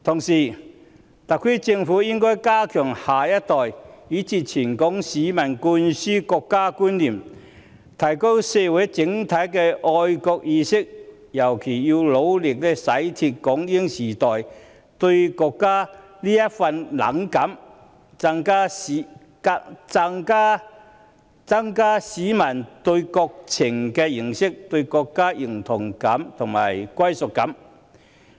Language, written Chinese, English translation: Cantonese, 此外，特區政府應加強向下一代以至全港市民灌輸國家觀念，提高社會整體的愛國意識，尤其是要努力洗脫港英時代對國家的冷感，增加市民對國情的認識，以及對國家的認同感和歸屬感。, Moreover the SAR Government should make more effort to instil a sense of national identity to the next generation and all members of the public in particular to dispel a sense of apathy towards the country during the British - Hong Kong era and to enhance the publics understanding of national affairs and their sense of identity and belonging to the country